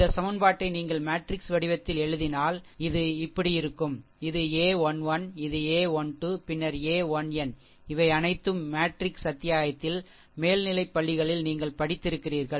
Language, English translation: Tamil, If you put this equation in the matrix form, then we can make it like this, that a 1 1 this is your this is your a matrix, this is your a matrix, it is a 1 1, then a 1 2, a 1 n these all this things little bit you have studied in your higher secondary, right in matrix chapter